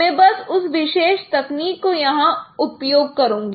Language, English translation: Hindi, I will simply bring that particular technique here